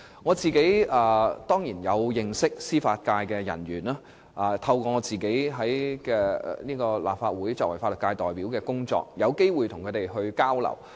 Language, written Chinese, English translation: Cantonese, 我當然認識一些司法界人員，並有機會透過作為立法會法律界代表的工作與他們交流。, Of course I know some judiciary personnel and have the opportunity to communicate with them through my work as a representative of the legal profession in the Legislative Council